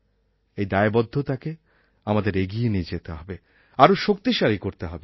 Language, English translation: Bengali, We have to carry forward this commitment and make it stronger